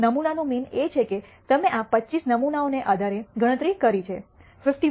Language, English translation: Gujarati, The sample mean that you have computed based on these 25 samples happens to be 51